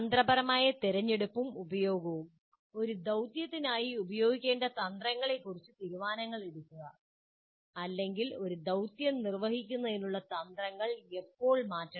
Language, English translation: Malayalam, So planning activities, then strategy selection and use, making decisions about strategies to use for a task or when to change strategies for performing a task